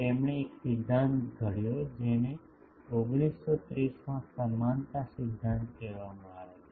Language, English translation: Gujarati, He formulated a principle which is called equivalence principle in 1930s